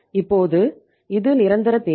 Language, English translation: Tamil, Now this is the permanent requirement